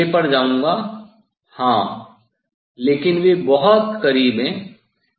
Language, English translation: Hindi, I will go to the next one, yes, but they are very close